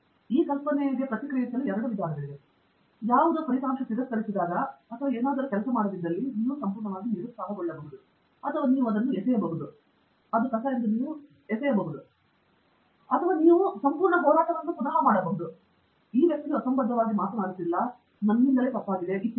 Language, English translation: Kannada, The idea is there are two ways to react to it, when something gets rejected or something does not work, you can get either totally dejected or you can throw it away, or you will get totally combative,say, no this guy is talking nonsense, etcetera